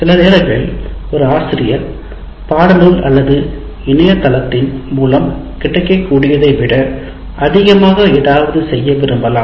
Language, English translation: Tamil, And sometimes a teacher may want to do something more than what is available in a textbook or internet source